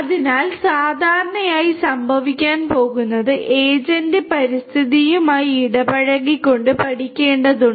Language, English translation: Malayalam, So, typically is going to happen is the agent has to learn by interacting with the environment